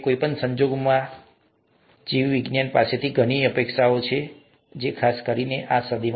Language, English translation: Gujarati, In any case, there’s a lot of promise, there’s a lot of expectation from biology, especially in this century